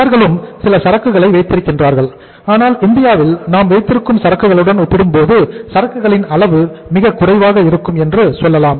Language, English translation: Tamil, They also keep some inventory but yes you can say the level of inventory can be the lowest as compared to the inventory we are keeping in India